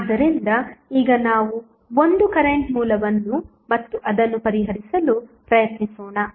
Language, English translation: Kannada, So, now let us apply one current source and try to solve it